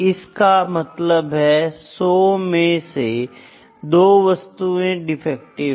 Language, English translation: Hindi, So, then that means, 2 out of 100, 2 out of 100 pieces are defective, 2 out of 100 it is a defective